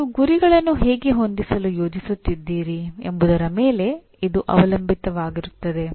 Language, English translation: Kannada, It depends on how you are planning to set the targets